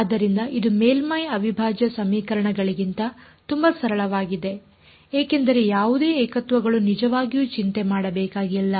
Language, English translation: Kannada, So, this turned out to be so much more simpler than the surface integral equations because no singularities to worry about really about